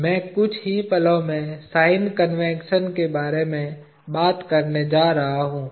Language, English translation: Hindi, I am just going to talk about sign convention in the moment